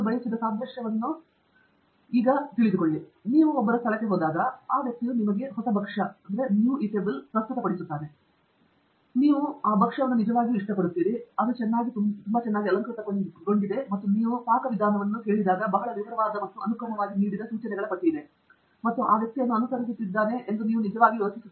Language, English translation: Kannada, Having the analogy that I wanted to give is, when you go to some one’s place, and you know, that person is presenting you with a new dish, I am found of analogies, and you really like that dish and it is been presented very nicely, ornated, and when you ask for the recipe, there is a list of instructions given in a very detailed and a sequential manner, and you think really that the person followed that